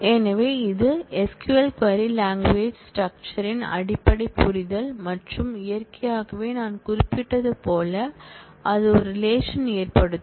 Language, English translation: Tamil, So, this is the basic understanding of the structure of the SQL query and naturally as I mentioned that will result in a relation